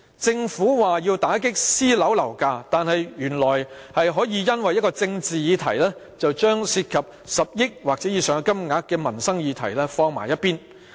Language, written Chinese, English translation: Cantonese, 政府說要打擊私人樓宇的樓價，但原來當局可以因為一個政治議題，擱置一項涉及10億元或以上金額的民生議題。, The Government claimed that it has to suppress private property prices; but it turns out that it can shelve a livelihood issue involving 1 billion or above to make way for a political issue